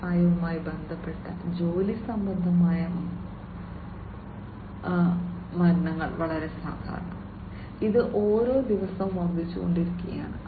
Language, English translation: Malayalam, So, as we all know that you know industry related work related deaths are very, very common, and this is basically increasing every day as well